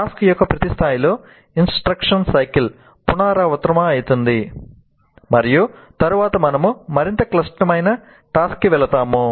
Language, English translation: Telugu, At each level of the task, the instruction cycle is repeated and then we move to a more complex task